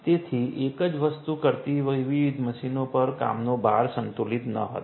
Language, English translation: Gujarati, So, the work load across the different machines doing the same thing was not balanced